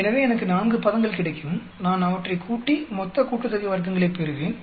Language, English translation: Tamil, So, I will get 4 terms which I add up to get total sum of squares